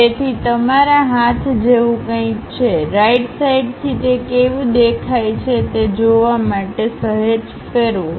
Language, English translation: Gujarati, So, something like you have a hand, slightly turn observe it from right hand side how it really looks like